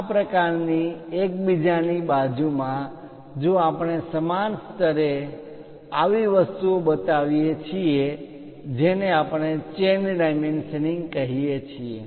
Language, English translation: Gujarati, This kind of next to each other if we are showing at the same level at the same level such kind of things what we call chain dimensioning